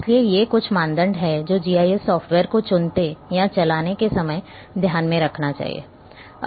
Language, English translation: Hindi, So, these are the certain criteria one should keep in mind when going or selecting GIS software